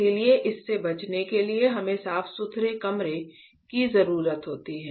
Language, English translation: Hindi, So, to avoid that we require to have a clean room facility ok